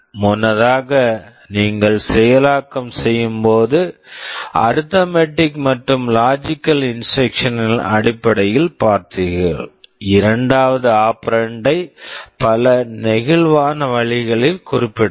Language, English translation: Tamil, Earlier you have seen in terms of the arithmetic and logic instructions when you are executing, the second operand can be specified in so many flexible ways